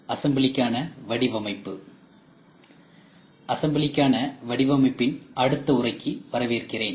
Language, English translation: Tamil, Welcome to the next lecture on Design for Assembly